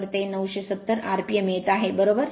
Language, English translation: Marathi, So, it is coming 970 rpm right